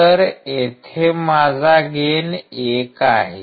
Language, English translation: Marathi, So, my gain is 1